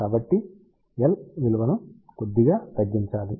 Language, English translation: Telugu, So, L has to be reduced slightly